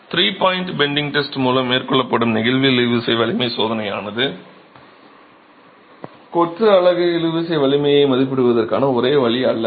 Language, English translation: Tamil, The flexual tensile strength test that is carried out by the three point bending test is not the only way of estimating the tensile strength of masonry